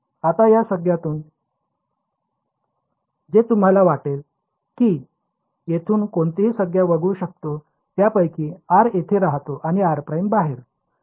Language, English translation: Marathi, Now from these terms which can you think I can ignore anyone term from here given that r lives over here and r prime lives outside